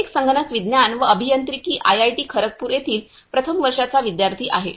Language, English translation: Marathi, first year student from Department of Computer Science and Engineering IIT, Kharagpur